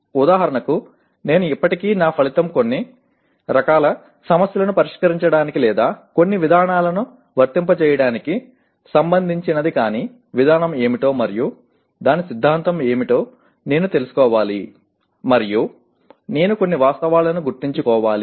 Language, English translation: Telugu, For example if I am still my outcome is related to solving certain type of problems or applying certain procedures but I should know what the procedure is and what the theory of that is and I must remember some facts